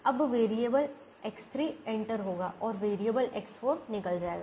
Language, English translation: Hindi, now variable x three will enter and variable x four will leave